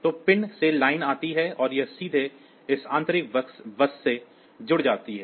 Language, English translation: Hindi, So, from the pin the line comes and it goes through this direct ultimately connected to the internal bus